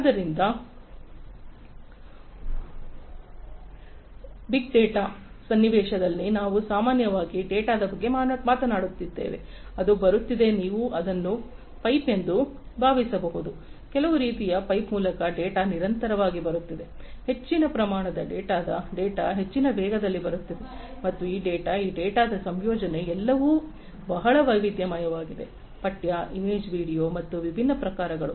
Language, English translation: Kannada, So, in big data context, we are typically talking about data, which is coming you can think of it as a pipe, some kind of a pipe through which data are coming continuously, huge volumes of data are coming at high velocities and this data the composition of this data are all very varied, text, image video and differ different types